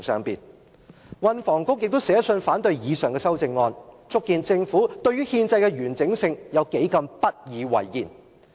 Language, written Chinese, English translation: Cantonese, 運輸及房屋局亦寫信反對以上修正案，足見政府對於憲制的完整有多麼不以為然。, The Transport and Housing Bureau has also written to oppose the amendments proposed above in a display of the Governments belittlement of constitutional integrity